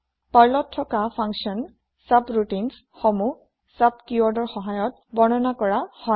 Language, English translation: Assamese, In Perl, functions, also called as subroutines, are declared with sub keyword